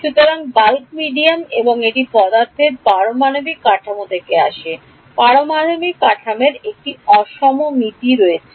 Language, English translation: Bengali, So, bulk medium and that comes from the atomic structure of the material there is an asymmetry in the atomic structure